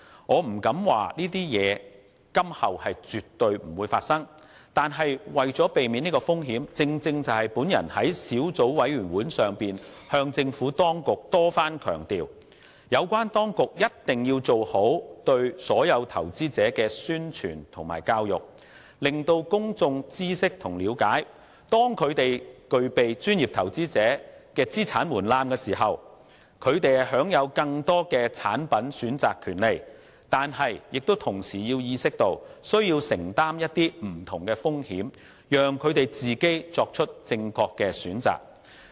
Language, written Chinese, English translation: Cantonese, 我不敢說這些情況今後絕不會發生，但是，為了避免這些風險——正如我在小組委員會上向政府當局多番強調——有關當局一定要做好宣傳和教育工作，令公眾知悉和了解，當他們具備專業投資者的資產門檻時，雖享有更多的產品選擇權利，但同時要意識到自己需承擔不同風險，須自行作出正確選擇。, I dare not say that these situations will not happen in the future and in order to avoid these risks the authorities must make effective publicity and education efforts just as I repeatedly emphasized to the Administration at the Subcommittee meetings . This is to help the public know and understand that they have to be aware of various risks which they may need to bear when they enjoy the right to a wider choice of products upon reaching the assets threshold for professional investors and that they themselves must make correct choices